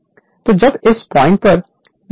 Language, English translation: Hindi, So, when this is your torque is 0 at this point